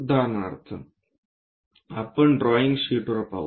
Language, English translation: Marathi, For example, let us look at our drawing sheets